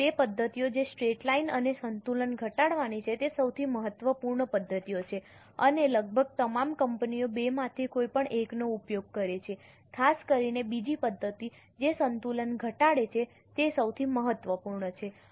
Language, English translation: Gujarati, The first two methods that is straight line and reducing balance are the most important methods and almost all companies use any one of the two, particularly the second method that is reducing balance is most important